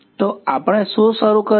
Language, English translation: Gujarati, So, what did we start with